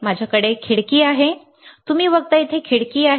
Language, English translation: Marathi, I have a window, right; you see here is a window